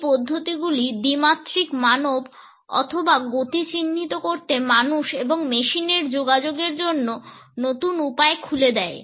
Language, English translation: Bengali, These methods for tracking 2D human form or motion open up new ways for people and machines to interact